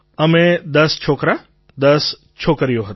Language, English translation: Gujarati, We were 10 boys & 10 girls